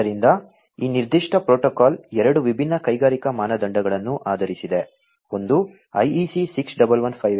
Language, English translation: Kannada, So, this particular protocol is based on two different industrial standards; one is the IEC 61158 and the other one is 61784